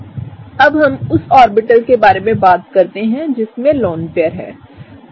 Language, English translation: Hindi, Now, let us talk about the orbital in which the lone pair is residing, right